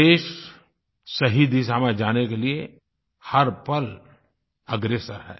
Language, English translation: Hindi, The nation is always ready to move in the right direction